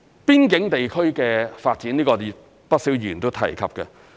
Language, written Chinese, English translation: Cantonese, 邊境地區的發展，不少議員均有提及。, Quite a few Members have talked about the development of the border areas